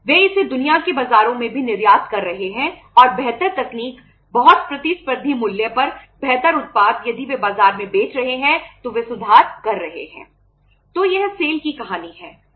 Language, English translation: Hindi, They are exporting it to the world markets also and better technology, better products at a very competitive price if they are selling in the market they are improving